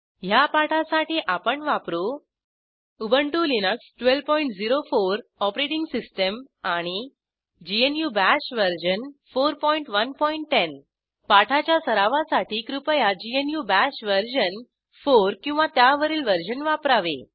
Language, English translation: Marathi, For this tutorial I am using *Ubuntu Linux 12.04 Operating System *GNU BASH version 4.1.10 GNU Bash version 4 or above, is recommended for practice